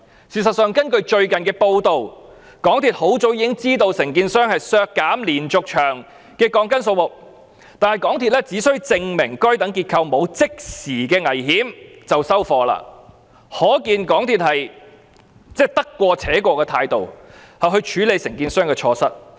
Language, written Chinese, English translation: Cantonese, 事實上，根據最近的報道，港鐵公司很早已經知道承建商削減連續牆的鋼筋數目，但港鐵公司只需承建商證明該等結構沒有即時危險便算，可見港鐵公司以得過且過的態度處理承建商的錯失。, In fact according to recent reports MTRCL had long since known that the contractor had reduced the number of reinforcement steel bars of the diaphragm wall but MTRCL only required the contractor to prove that the structure would pose no immediate danger and took no further action . This shows that MTRCL was just muddling along in dealing with the contractors mistakes